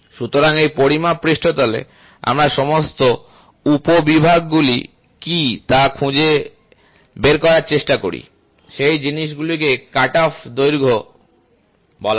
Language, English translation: Bengali, So, in this measuring surface, we try to find out what are all the sub segments, so those things are called as cutoff lengths